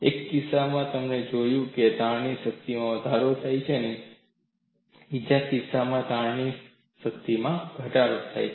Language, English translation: Gujarati, In one case, we found strain energy increased, in another case, strain energy decreased